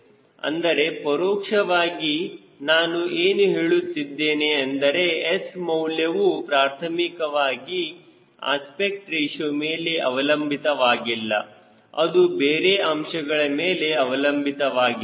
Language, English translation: Kannada, i am telling you the decision what s i need to have is not dependent on primarily on aspect ratio, is depending on something else